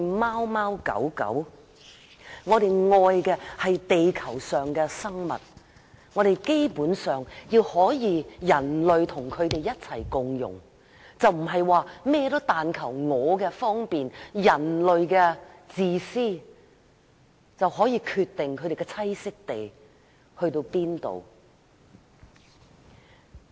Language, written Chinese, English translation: Cantonese, 我們愛的是地球上的生物，希望人類可以與各種動物共融，而不是只求自己方便，出於自私而決定動物的棲息地範圍。, We should love every creature on Earth and hope that humans can coexist with various animals . We should not for the sake of convenience or out of selfishness decide on the habitats of animals